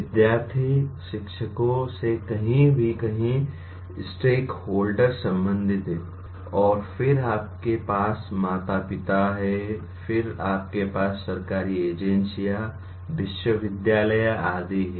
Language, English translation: Hindi, There are several stake holders concerned with that, anywhere from students, teachers, and then you have parents, then you have government agencies, universities and so on